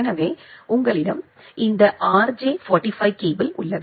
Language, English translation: Tamil, So, you have this RJ45 cable